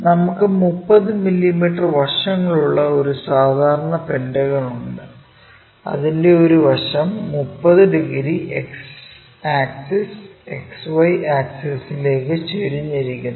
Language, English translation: Malayalam, So, there is a regular pentagon of 30 mm sides with one side is 30 degrees inclined to X axis, XY axis